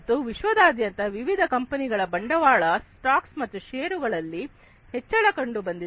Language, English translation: Kannada, And there has been increase in the capital stocks and shares across different companies worldwide